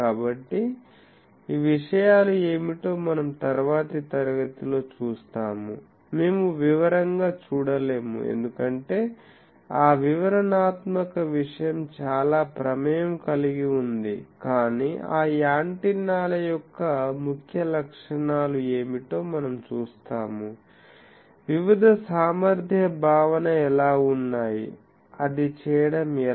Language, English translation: Telugu, So, that we will see in the next class what is the those things, we would not see in details because that detailed thing is quite involved, but we will see that what are the salient features of those antennas, there are various efficiency concept how to do that